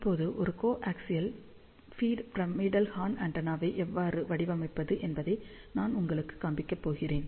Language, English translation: Tamil, Now, I am going to show you how to practically design a coaxial feed pyramidal horn antenna